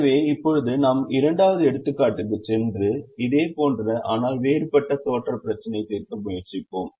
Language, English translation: Tamil, so we'll now go to the second example and try to solve a similar but different looking assignment problem